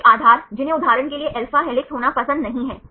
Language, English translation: Hindi, Some bases, which are not preferred to be alpha helix for example